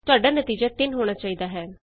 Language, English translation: Punjabi, You should get the result as 3